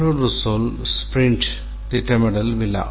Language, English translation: Tamil, One is the sprint planning ceremony